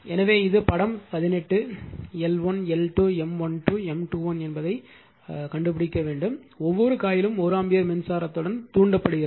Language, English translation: Tamil, So, you have to find out this is figure 18, L 1, L 2, M 1 2, M 2 1 each coil is excited with 1 ampere current first will see that coil 1 is excited with 1 ampere current right